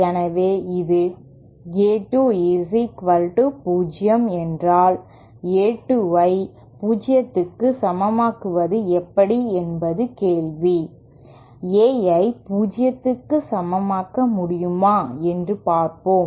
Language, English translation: Tamil, So then this is with A 2 equal to 0 and the question is how do we make A 2 equal to 0 let us see whether we can make A 2 equal to 0